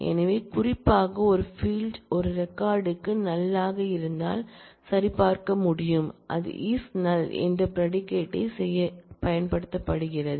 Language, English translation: Tamil, So, it is possible to check, if particularly a field is a null for a record, and that is done by a predicate “is null”